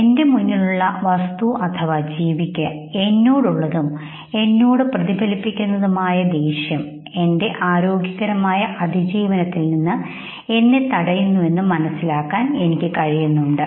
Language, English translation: Malayalam, I consider that the anger, that the object in front of me has towards me, and is reflecting at me, could know prevent me from my healthy survival